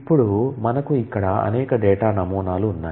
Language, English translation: Telugu, So, there are several data models that exist today